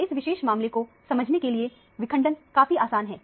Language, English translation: Hindi, So, the fragmentation is fairly easy to understand in this particular case